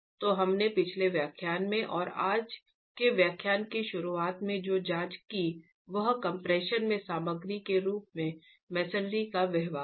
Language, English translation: Hindi, So what we did examine in the previous lecture and today's lecture in the beginning is the behavior of masonry as a material in compression